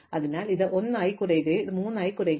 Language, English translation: Malayalam, So, this will reduce to 1 and this will reduce to 3